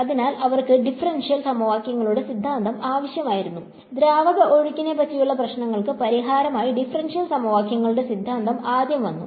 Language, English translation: Malayalam, So, they needed the theory of differential equations for it and so the theory of differential equations came about first for fluid flow problems